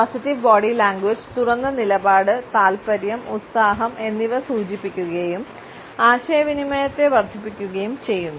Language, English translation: Malayalam, A positive body language indicates interest, openness, enthusiasm and enhances the communication also